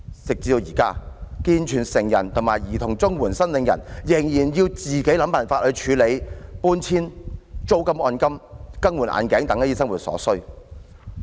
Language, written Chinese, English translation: Cantonese, 直至現在，健全成人和兒童綜援申領人仍然要自行想辦法處理搬遷、租金按金、更換眼鏡等生活所需。, By now able - bodied adults and children CSSA recipients still have to find means to meet their daily needs including needs arising from removal rent deposit payments and expenses on replacing spectacles and so on